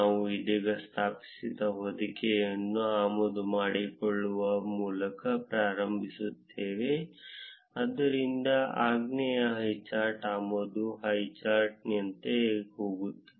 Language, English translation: Kannada, We would start by importing the wrapper that we just installed, so the command goes like from highcharts import highchart